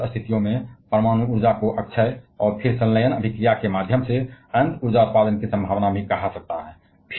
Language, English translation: Hindi, But in certain situations, nuclear energy can also be termed as renewable and then possibility of mere infinity energy generation through fusion reaction